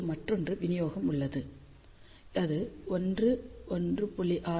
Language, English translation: Tamil, Now, this is the another distribution which is 1 1